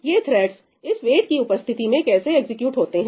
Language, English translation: Hindi, How do these threads get executed in the presence of this wait